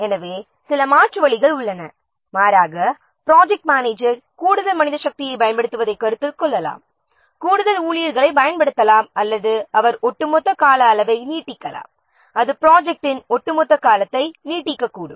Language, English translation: Tamil, The alternatively project manager can consider using more manpower using additional stuff or he may lengthen the overall duration, he may extend the overall duration of the project